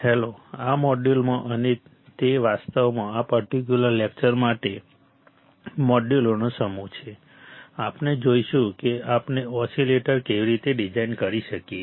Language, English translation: Gujarati, Hello, in this module and it actually it is a set of modules for this particular lecture, we will see how we can design oscillators